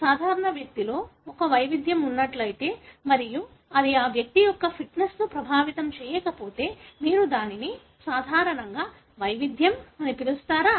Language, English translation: Telugu, If a variation is present in normal individual and it doesn’t affect the fitness of that individual, you normally call it as variation